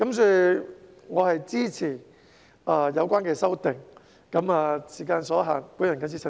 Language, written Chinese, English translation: Cantonese, 所以，我支持有關的修訂。由於時間所限，我謹此陳辭。, Therefore I support the relevant amendments and given the time constraints these are my remarks